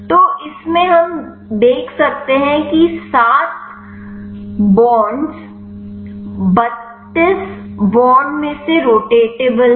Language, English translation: Hindi, So, in this we can see 7 bonds are rotatable out of 32 bonds